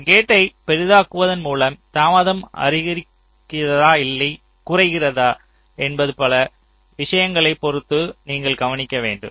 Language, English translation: Tamil, so by making a gate larger, whether or not the delay will go up or go down, it depends on number of things